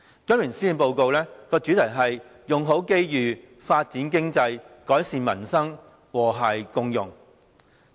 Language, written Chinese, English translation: Cantonese, 今年施政報告的主題是"用好機遇，發展經濟，改善民生，和諧共融"。, The theme of this years Policy Address is Make Best Use of Opportunities Develop the Economy Improve Peoples Livelihood Build an Inclusive Society